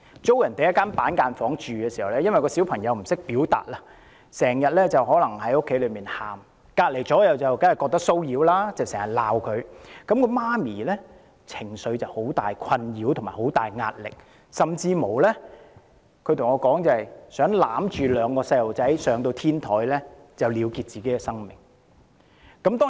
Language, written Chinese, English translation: Cantonese, 他們租住板間房，由於小朋友不懂表達，因此可能經常在房間內哭泣，鄰居們當然覺得騷擾，經常責罵他，令到母親在情緒上受到極大困擾及壓力，她甚至對我說她想抱着兩個小朋友到天台了結生命。, The family used to rent a cubicle . Since the child concerned cannot express himself he cried in the cubicle frequently and of course his neighbours found this very annoying and scolded him frequently so the mother was subjected to very great emotional disturbance and stress . She even told me that she once contemplated taking her two children to the rooftop and ending their lives